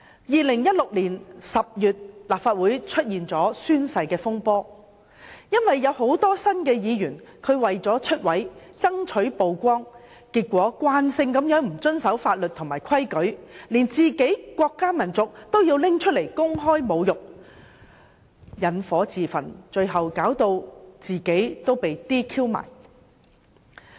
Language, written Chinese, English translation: Cantonese, 2016年10月，立法會出現了宣誓風波，很多新任議員為了"出位"，爭取曝光，慣性地不遵守法律和規矩，連國家民族都拿來公開侮辱，引火自焚，最後導致被 "DQ"。, In October 2016 the oath - taking incident happened in the Legislative Council . Newly appointed Members refused to abide by the law and the rules as a matter of routine in order to gain exposure . They went so far as to publicly insult their own country and race